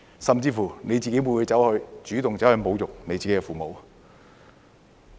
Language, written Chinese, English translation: Cantonese, 甚至你會否主動侮辱自己的父母？, Would you even take the initiative to insult your own parents?